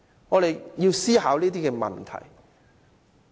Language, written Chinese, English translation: Cantonese, 我們要思考這些問題。, These are the problems we have to consider